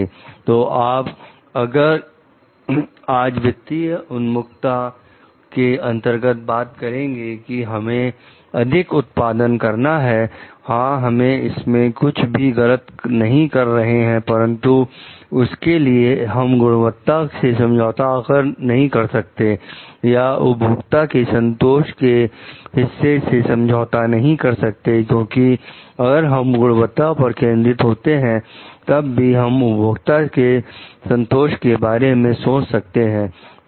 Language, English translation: Hindi, So, if you talk totally under financial orientation like we have to produce more; yes, we can do nothing wrong in it, but for that, we cannot compromise on the quality or customer satisfaction part because, if we are focusing on the quality part then only we can look to the customer satisfaction